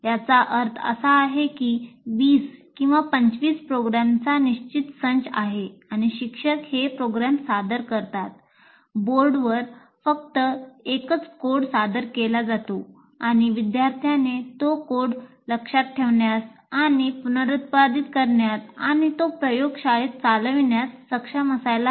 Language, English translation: Marathi, That means the teacher presents one, some there are fixed set of programs 20 or 25, and the teacher presents these programs, only one set, one code is given, is presented presented on the board and the student should be able to remember that reproduce that code and run it in the laboratory